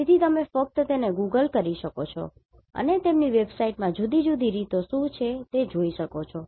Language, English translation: Gujarati, So, you can just Google it and you can see their website what are the different modes